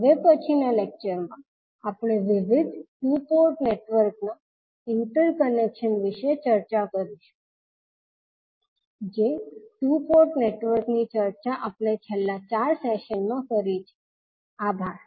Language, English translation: Gujarati, In next lecture we will discuss about the interconnection of various two port networks which we have discussed in last 4 sessions, thank you